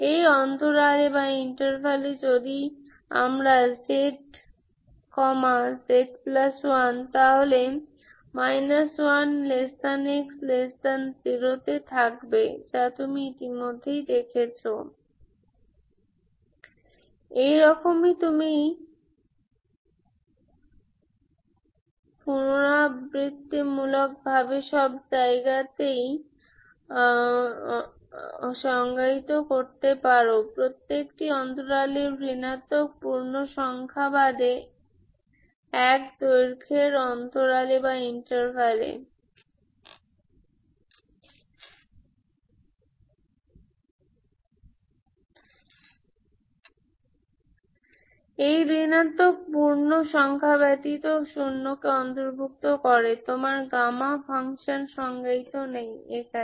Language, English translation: Bengali, Now you can define minus 2 to minus 1, so again, again in minus 2 to minus 1, if we take z, z plus 1 will be here which you have seen already, Ok, iterative, like this iteratively you can go on defining everywhere, every single interval, interval of length 1 except these negative integers, Ok, except these negative integers including zero, you don't have gamma function defined there, Ok